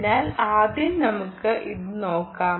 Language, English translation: Malayalam, very good, so first let us see, look at this